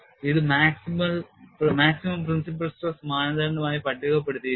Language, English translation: Malayalam, So, that is why this is put as maximum principle stress criterion